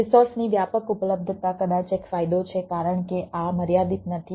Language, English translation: Gujarati, extensive resource availability is maybe an advantage because this is not limited